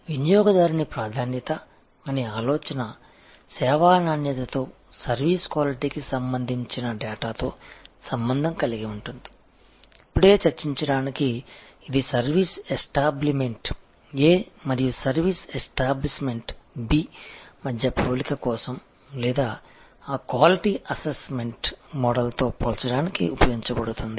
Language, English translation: Telugu, So, the idea of customer preference is correlated with service quality, the data for service quality, which is fundamentally to be used for comparison between service establishment A and service establishment B or for comparison with in that quality assessment model itself, which we are going to discuss just now